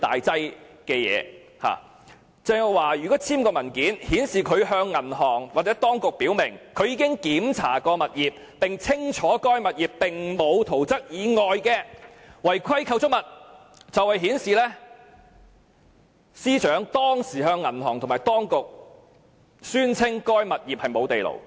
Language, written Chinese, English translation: Cantonese, 鄭若驊簽署該等文件，即顯示她向銀行或當局表明，她已檢查該物業並清楚知道該物業並沒有圖則以外的違規構築物，亦顯示她當時是向銀行和當局宣稱該物業並無地庫。, The signing of those documents by Teresa CHENG means that she clearly indicated to the bank or the authorities that she had inspected the property with the clear knowledge that the property did not have any unauthorized structures not specified in the plan . It also means that she back then declared to the bank and the authorities that the property had no basement